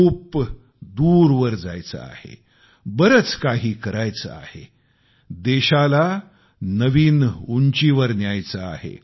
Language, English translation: Marathi, We have to walk far, we have to achieve a lot, we have to take our country to new heights